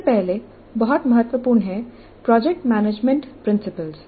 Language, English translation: Hindi, The first very important one is that project management principles